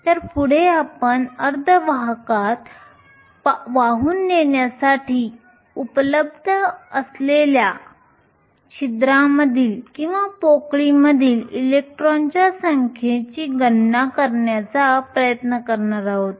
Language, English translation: Marathi, So, the next thing we going to do is to try and calculate the number of electrons in holes that are available for conduction in a semi conductor